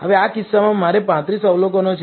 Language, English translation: Gujarati, Now, in this case I have 35 observations